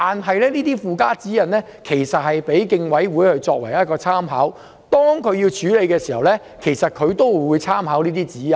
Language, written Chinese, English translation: Cantonese, 其實附加指引是供競爭事務委員會作參考，他們處理問題時會參考這些指引。, In fact the supplementary guidelines serve as reference for the Competition Commission which would refer to these guidelines when dealing with related issues